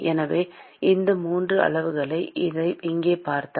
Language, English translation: Tamil, So, if you look at these 3 quantities here